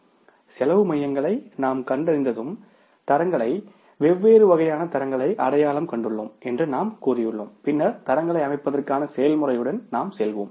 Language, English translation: Tamil, Once we have identified the cost centers we have say identified the standards, different kind of the standards, then we will go for the with the process of setting up the standards